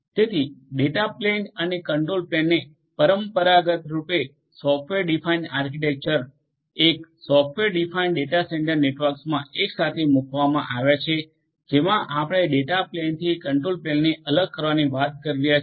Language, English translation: Gujarati, So, data plane and the control plane traditionally were put together in a software defined architecture, a software defined data centre network we are talking about separating out the control plane from the data plane